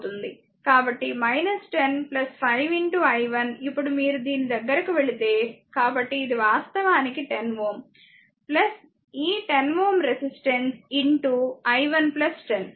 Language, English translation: Telugu, So, minus 10 plus 5 into i 1 , now you are moving to this; so, it will be actually 10 ohm , plus this 10 ohm resistance into your into i 1 plus 10 , right